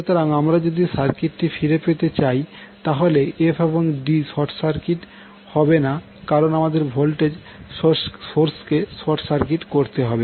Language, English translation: Bengali, So, if you go back to the circuit f and d are not short circuited because you have put voltage source as a short circuit